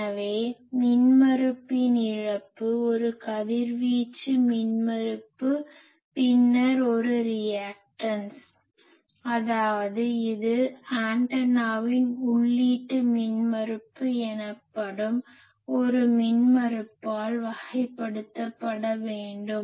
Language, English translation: Tamil, So, loss in resistance a radiating resistance then a reactance so; that means, it is an it should be characterized by an impedance that is called input impedance of the antenna